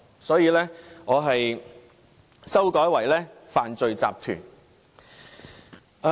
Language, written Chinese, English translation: Cantonese, 所以，我修改為"犯罪集團"。, This is why I replaced the wording by crime syndicates in my amendment